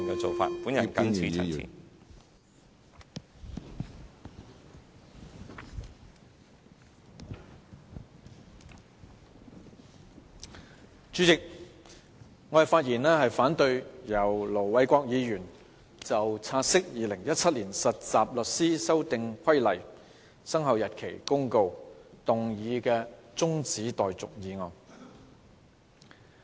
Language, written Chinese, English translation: Cantonese, 主席，我發言反對由盧偉國議員動議"現即將有關《〈2017年實習律師規則〉公告》的察悉議案的辯論中止待續"的議案。, President I speak in opposition to the motion moved by Ir Dr LO Wai - kwok that the debate on the take - note motion in relation to the Trainee Solicitors Amendment Rules 2017 Commencement Notice be now adjourned